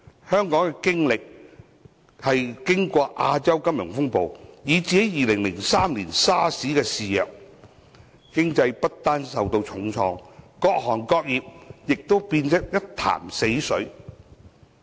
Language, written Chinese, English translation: Cantonese, 香港經歷過亞洲金融風暴，以及2003年的 SARS 肆虐，經濟不單受到重創，各行各業也變得一潭死水。, Hong Kong experienced the Asian financial turmoil and the SARS epidemic in 2003 our economy was hit hard and various industries and trades became stagnant